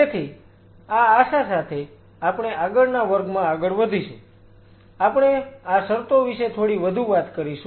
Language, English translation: Gujarati, So, with this hope we will be proceeding further in the next class, we will talk little bit more about these conditions